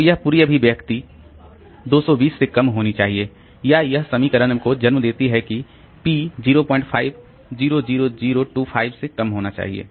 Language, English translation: Hindi, So, this whole expression should be less than 220 or it gives rise to the equation that p should be less than 0